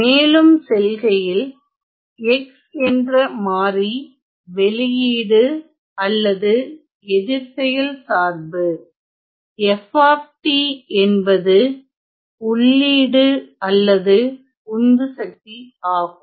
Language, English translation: Tamil, So, moving on so the variables x is the output or the response function f of t is the input or the driving function